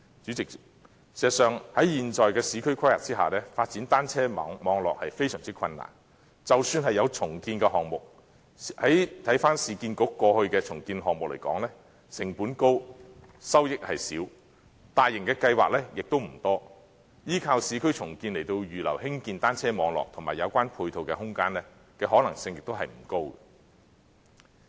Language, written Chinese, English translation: Cantonese, 主席，事實上，在現時的市區規劃下，發展單車網絡非常困難，即使有重建項目，但以市區重建局過去的重建項目來說，有關項目成本高，收益少，大型的計劃亦不多，依靠市區重建來預留興建單車網絡及有關配套的空間，可能性亦不高。, In fact President under the current urban planning it is extremely difficult to develop cycle track networks . Judging from the redevelopment projects undertaken by the Urban Renewal Authority in the past even if redevelopment projects are carried out high costs will be incurred with little profits made . Moreover not many large - scale programmes will be carried out